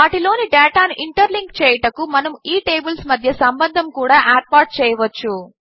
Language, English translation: Telugu, We can establish relationships among these tables, to interlink the data in them